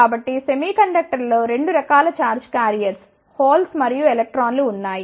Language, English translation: Telugu, So, in the semiconductors there are 2 type of charge carriers holes and electrons